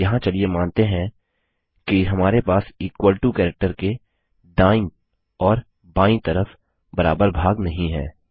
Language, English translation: Hindi, Here let us suppose that we dont have equal number of parts on the left and the right of the equal to character